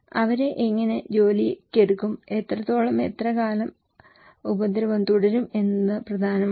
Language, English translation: Malayalam, So, how will they be employed and how much and how long will the harm continue is important